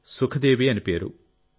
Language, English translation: Telugu, And named Sukhdevi